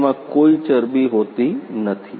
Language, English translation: Gujarati, That does not have a any fat